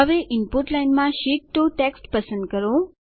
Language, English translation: Gujarati, Now select the text Sheet 2 in the Input Line